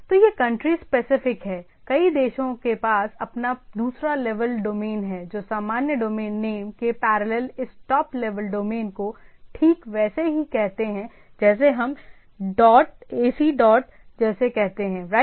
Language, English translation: Hindi, So, it is country specific, many countries have their own second level domain underneath the parallel which parallel the generic domain name this top level domain right like what we say like ac dot in right